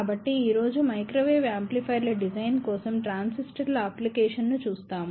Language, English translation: Telugu, So, today, we will see the application of transistors for designing Microwave Amplifiers